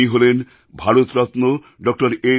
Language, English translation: Bengali, He was Bharat Ratna Dr